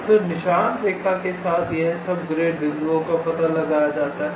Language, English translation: Hindi, so along the trail line, all its grid points are traced